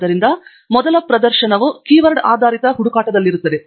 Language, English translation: Kannada, So, first demonstration will be on a Keyword based search